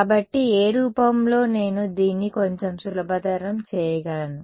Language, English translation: Telugu, So, what form will what how can I simplify this a little bit more